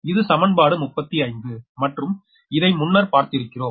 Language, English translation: Tamil, that is equation thirty five, if you do so